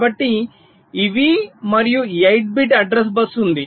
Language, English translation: Telugu, so these, and there is eight bit address